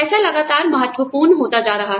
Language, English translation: Hindi, Money is becoming increasingly important